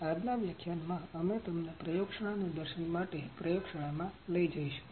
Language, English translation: Gujarati, In this lecture, we will take you to the lab for the Laboratory Demonstration